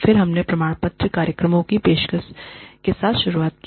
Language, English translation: Hindi, Then, we started with, offering certificate programs